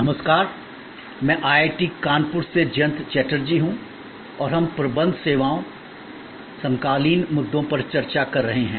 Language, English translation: Hindi, Hello, I am Jayanta Chatterjee from IIT, Kanpur and we are discussing Managing Services, contemporary issues